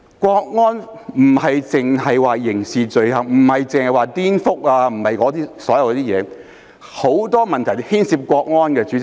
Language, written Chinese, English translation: Cantonese, 國安並非只涉及刑事罪行及顛覆等事情，很多問題也牽涉國安。, National security does not only involve criminal offences and secession but many other crimes as well